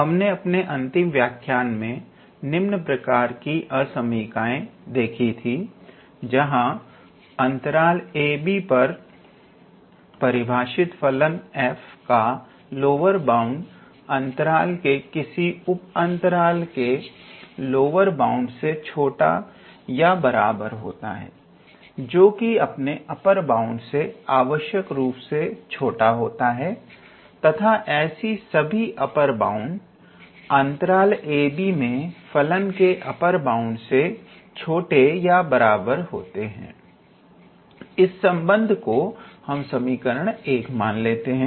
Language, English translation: Hindi, So, up until last lecture we lived into an inequality of this type, where we had the lower bound of a function f defined on a closed interval a comma b, is less or equal to the lower bound on all the sub intervals, which is less than or equal to of course, the upper bound of the function f on all the sub intervals which is less than or equal to the upper bound of the function f on the whole interval a comma b